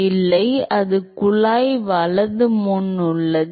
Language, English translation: Tamil, No, that is before the pipe right